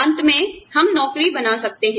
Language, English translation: Hindi, We may end up, designing jobs